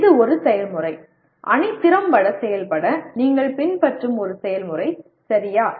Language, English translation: Tamil, That is a process, a procedure that you will follow for the team to be effective, okay